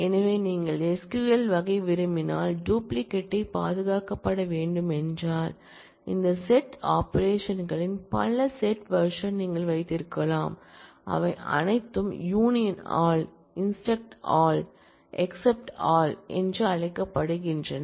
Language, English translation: Tamil, So, if you want the SQL type of behaviour, if you want the duplicates to be preserved, then you can have a multi set version of these set operations, which are known as union all, intersect all, except all like that